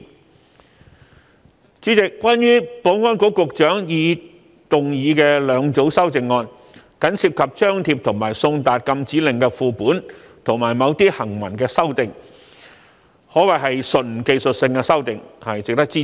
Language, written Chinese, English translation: Cantonese, 代理主席，關於保安局局長動議的兩組修正案，僅涉及張貼及送達禁止令的副本，以及某些行文上的修訂，可謂純技術性修訂，值得支持。, Deputy President concerning the two sets of amendments proposed by the Secretary for Security since they only involve posting and service of copies of prohibition orders as well as certain textual amendments which can be regarded as purely technical amendments they merit our support